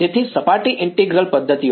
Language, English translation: Gujarati, So, surface integral methods